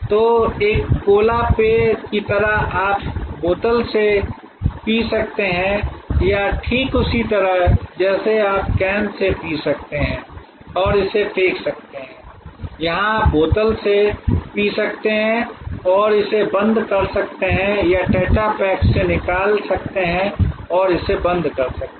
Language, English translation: Hindi, So, just like a cola drink you can drink from the bottle or from the just like there you can drink from the can and throw it away, here you can drink from the bottle and dispose it off or from the tetra pack and dispose it off